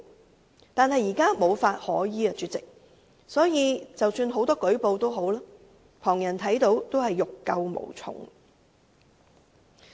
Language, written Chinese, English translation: Cantonese, 可是，主席，現時無法可依，即使有很多人舉報，旁人也欲救無從。, And yet President given that there is currently no law to go by nothing can be done to help these animals even if there are many reports of such cases